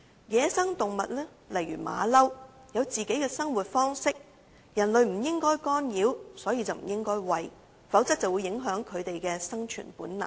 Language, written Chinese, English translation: Cantonese, 野生動物如猴子，有自己的生活方式，人類不應干擾，所以不應餵食，否則便會影響牠們的生存本能。, Wild animals like monkeys have their own lifestyles which human beings should not intervene . Therefore we must not feed them so as to avoid undermining their survival instinct